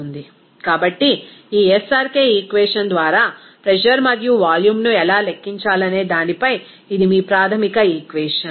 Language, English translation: Telugu, So, this is your basic equation on how to calculate the pressure and volume by this SRK equation